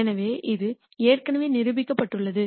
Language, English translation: Tamil, So, this has already been proved